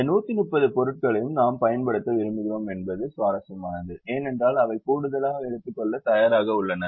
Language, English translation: Tamil, also interesting that we would like to use of all this hundred and thirty items because they are willing to take extra